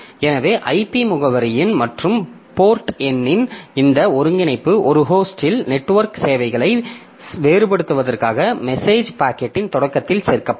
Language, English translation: Tamil, So, this concatenation of IP address and port, a number included in the at the start of message packet to differentiate network services on a host